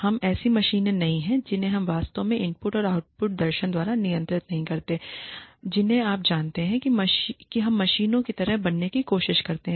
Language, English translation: Hindi, So, we are all human beings we are not machines we are not really governed by the input and output philosophy you know in most of the cases we try to be like machines